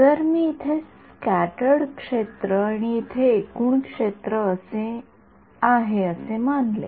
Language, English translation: Marathi, If I assume this scattered field here and total field over here